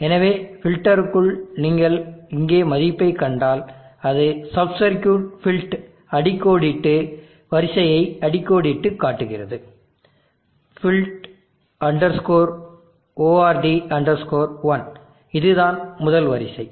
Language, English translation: Tamil, So within the filter if you see the value here it is calling the sub circuit felt underscore order underscore one is a first order